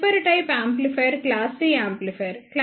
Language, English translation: Telugu, The next type of amplifier is the class C amplifier